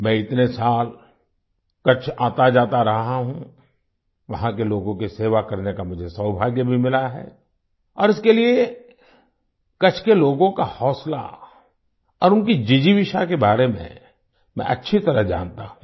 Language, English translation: Hindi, I have been going to Kutch for many years… I have also had the good fortune to serve the people there… and thats how I know very well the zest and fortitude of the people of Kutch